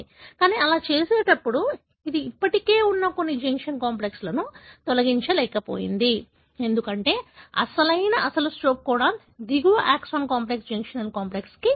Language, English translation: Telugu, But while doing so, it is unable to dislodge some of the junction complex that are still present, because the actual, the original stop codon is present downstream to that, exon complex, the junctional complex